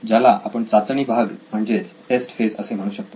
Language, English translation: Marathi, This is called the test phase